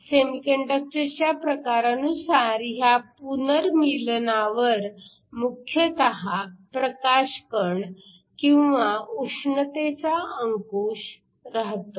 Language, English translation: Marathi, Depending upon the type of semiconductor the recombination can either be dominated by photons or it can be dominated by heat